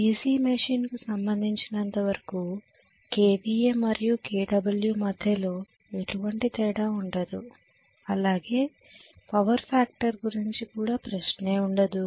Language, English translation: Telugu, As far as the DC machine is concerned, we are not going to have any difference between kva and kilo watt there is no question of any power factor